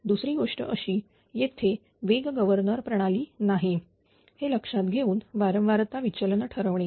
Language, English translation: Marathi, Second thing is determine the frequency deviation assuming that there is no speed governing system